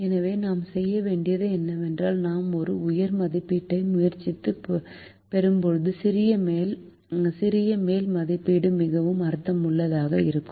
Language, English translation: Tamil, so what we have to do is, when we try and get an upper estimate, the smaller the upper estimate is, the more meaningful the upper estimate is